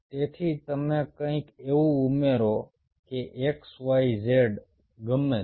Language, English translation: Gujarati, ok, so you add something, some that that x, y, z, whatever